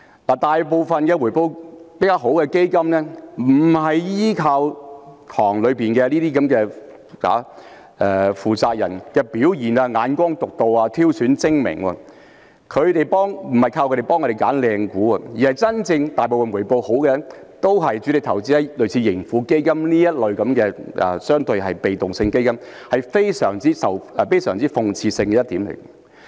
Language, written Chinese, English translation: Cantonese, 大部分回報較好的基金不是依靠池塘裏基金管理人的表現、眼光獨到或挑選精明，不是靠他們幫我們選擇好的股份，大部分回報好的都是主力投資在類似盈富基金這類被動式指數基金，這是非常諷刺的一點。, Most of the funds that yielded better returns did not rely on the performance of fund managers in the pool on their unique insight or wise choices or on their help in selecting good stocks for us; most of the funds that yielded good returns came from investments mainly made in passive index funds like the Tracker Fund of Hong Kong . This is a most ironic point